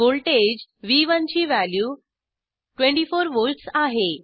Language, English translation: Marathi, Value of voltage v1 is 24 volts